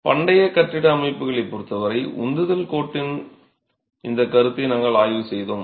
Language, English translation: Tamil, As far as ancient building systems are concerned, we examined this concept of the thrust line